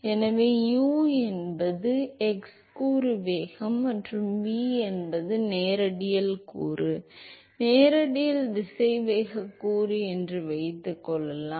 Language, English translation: Tamil, So, u is the x component velocity and v is the radial component, radial velocity component suppose